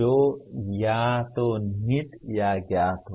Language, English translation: Hindi, That is either implicit or known